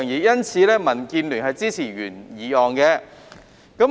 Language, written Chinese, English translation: Cantonese, 因此，民建聯支持原議案。, For this reason DAB supports the original motion